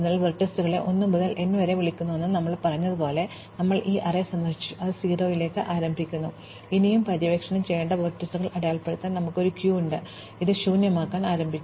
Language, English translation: Malayalam, So, as we said the vertices are called 1 to n, we have this array visited, which is initialized to 0 and we have a queue to mark the vertices still to be explored, this is initialized to empty